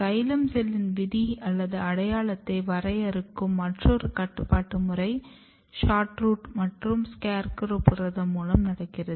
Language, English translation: Tamil, Another regulatory mechanism which works in defining cell fate or identity of xylem cells is through SHORTROOT and SCARECROW protein and this is very very important